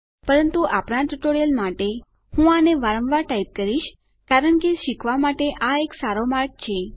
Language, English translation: Gujarati, But for our tutorials sake, I will keep typing it over and over again because this is a good way to learn